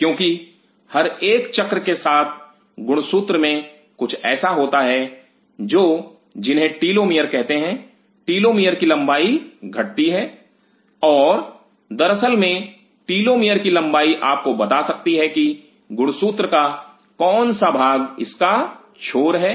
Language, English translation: Hindi, Because with every cycle there is something in it is chromosome called telomere the telomere length reduces and as a matter of fact the length of the telemeter can tell you which is part of the chromosome can tell you that what is the edge of it